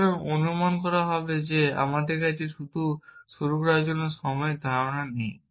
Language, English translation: Bengali, So, will assume that we do not have a notion of time to start with